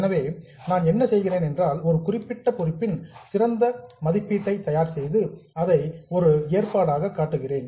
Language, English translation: Tamil, So, what I do is I make the best estimate of a particular liability and show it as a provision